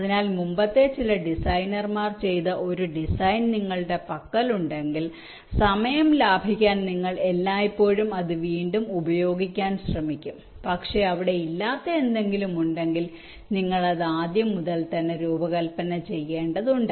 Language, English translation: Malayalam, so whenever you have a design which was already done by some earlier designer, you will always try to reuse it in order to safe time, ok, but there are something which was not there, to will have to design it from scratch anyway